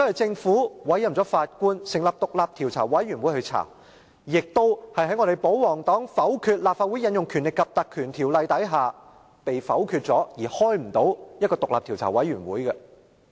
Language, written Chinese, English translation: Cantonese, 政府同樣委任了法官成立獨立調查委員會調查，而保皇黨否決立法會引用《立法會條例》的議案，導致專責委員會無法成立。, The Government likewise set up an independent commission of inquiry led by a Judge and the royalists vetoed a motion of the Council to invoke the Legislative Council Ordinance blocking the establishment of a select committee